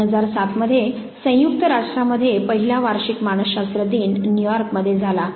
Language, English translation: Marathi, 2007 when the first annual psychology day at the united nation was held in New York